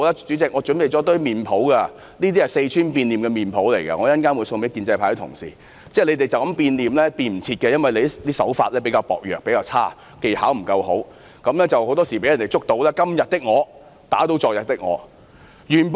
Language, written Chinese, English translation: Cantonese, 主席，我這裏準備了一些四川變臉的臉譜，稍後會送給建制派的同事，他們這樣變臉已經來不及了，因為他們的手法比較差劣，技巧不佳，很多時候會被揭發他們是"今天的我打倒昨天的我"。, President here I have prepared some face masks for Sichuan opera and I will hand them out to Honourable colleagues from the pro - establishment camp as a gift later . It is too late for them to change their faces . Given their inferior practice and poor skills it is often revealed that they contradict their remarks made in the past